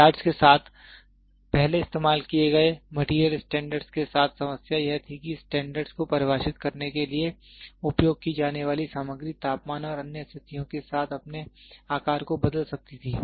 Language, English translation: Hindi, The problem with material standard used earlier with yards was that the materials used for defining the standards could change their size with temperature and other conditions